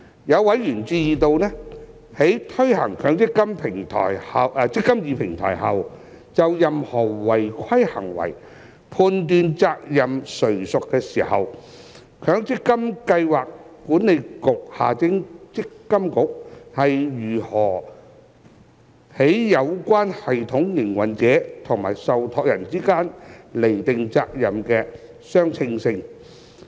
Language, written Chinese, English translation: Cantonese, 有委員關注到，在推行"積金易"平台後，就任何違規行為判斷責任誰屬時，強制性公積金計劃管理局如何在有關系統營運者與受託人之間釐定責任的相稱性。, Some members have expressed concern about how the Mandatory Provident Fund Schemes Authority MPFA will determine the proportionality of the liabilities of any non - compliance acts to be allocated between the system operator concerned and the trustees after implementation of the eMPF Platform